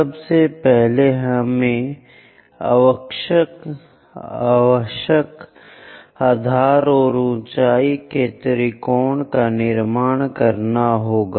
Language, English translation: Hindi, First, we have to construct a triangle of required base and height